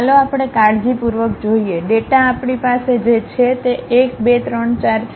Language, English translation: Gujarati, Let us look at carefully, the data points what we have is 1, 2, 3, 4